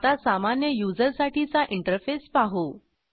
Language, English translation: Marathi, Now I will show you the interface for a normal user